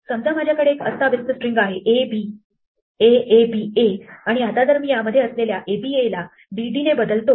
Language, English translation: Marathi, Supposing, I have some stupid string like "abaaba" and now I say replace all "aba" by say "DD"